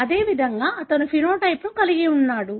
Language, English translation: Telugu, Likewise, he is having the phenotype